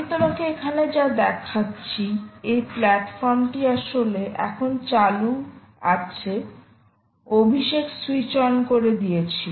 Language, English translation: Bengali, what i so show you here is: this platform is actually now switched on, as you have seen, abhishek just switched it on